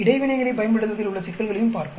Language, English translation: Tamil, Let us look at problems using interactions also